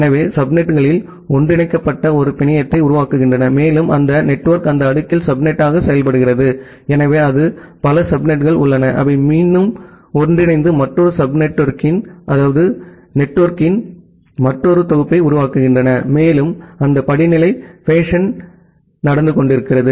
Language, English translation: Tamil, So, the subnets are being combined together form a network and that network work as a subnet in the next layer, so that way it is multiple subnets are there, they are again getting combined and forming another set of another network, and that hierarchical fashion is going on